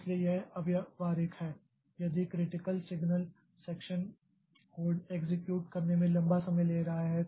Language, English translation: Hindi, So, this is impractical if the critical signal section code is taking a long time to execute